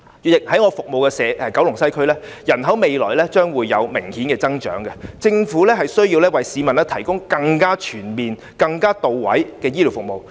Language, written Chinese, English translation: Cantonese, 主席，在我服務的九龍西，未來將會有明顯的人口增長，政府需要為市民提供更全面和到位的醫療服務。, President in Kowloon West where I serve the population will obviously surge in the future . The Government needs to more comprehensively provide healthcare services for the residents